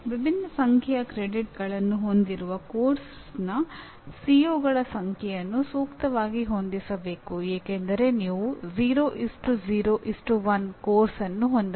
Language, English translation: Kannada, The number of COs of a course carrying different number of credits should be suitably adjusted because you can have a course 0:0:1